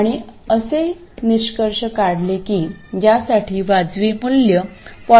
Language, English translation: Marathi, And it turns out that a reasonable value for this is